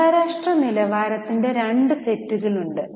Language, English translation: Malayalam, There are two sets of international standards